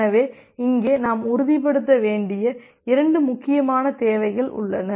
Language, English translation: Tamil, So, here we have 2 important requirements that we need to ensure